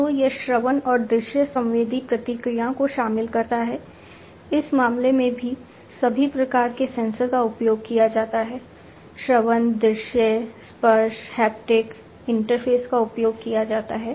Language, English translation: Hindi, So, it incorporates auditory and visual sensory feedback all kinds of sensors are used in this case also auditory, visual, touch haptic interfaces are also used